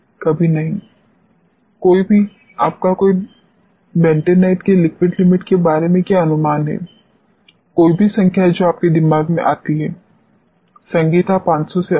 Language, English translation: Hindi, Never; anybody what is your guess about the liquid limit of bentonite any number which comes to your mind Sangeetha, more than 500